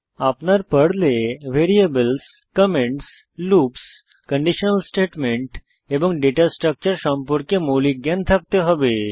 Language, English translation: Bengali, You should have basic knowledge of variables, comments, loops, conditional statements and Data Structures in Perl